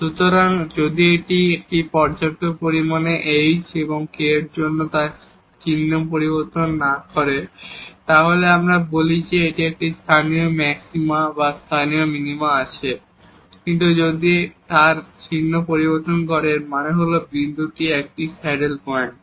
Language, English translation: Bengali, So, if this does not change its sign for sufficiently a small h and k then, we call that then this has a local maxima or local minima, but if it changes its sign then; that means, the point is a saddle point